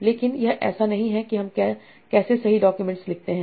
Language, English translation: Hindi, But that's not how we write the documents right